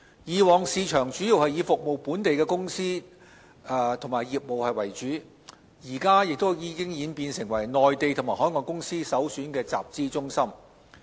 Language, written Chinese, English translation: Cantonese, 以往市場主要以服務本地的公司及業務為主，現在已演變成為內地及海外公司首選的集資中心。, Previously the market primarily served local firms and local businesses but now it has become the premiere capital formation centre for Mainland and overseas companies